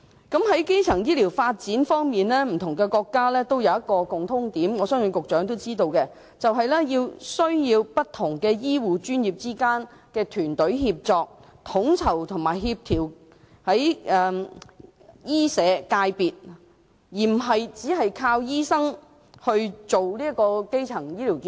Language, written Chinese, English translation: Cantonese, 在基層醫療的發展方面，不同國家皆有一個共通點，我相信局長也知道，便是不同醫護專業之間的團隊協作，統籌和協調醫社界別，而非單靠醫生推動基層醫療健康。, Speaking of the development of primary health care various countries have one thing in common and I believe the Secretary is also aware of it . Various health care professions organize and coordinate the medical and welfare sectors through teamwork rather than solely relying on doctors when promoting primary health care